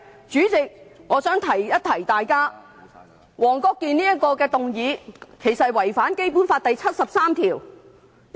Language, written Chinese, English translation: Cantonese, 主席，我想提醒大家，黃國健議員提出的議案其實是違反了《基本法》第七十三條。, President I would like to remind Members that the motion moved by Mr WONG Kwok - kin has actually contravened Article 73 of the Basic Law